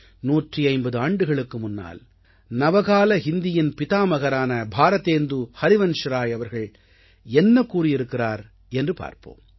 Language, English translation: Tamil, Hundred and fifty years ago, the father of modern Hindi Bharatendu Harishchandra had also said